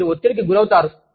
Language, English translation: Telugu, You may feel stressed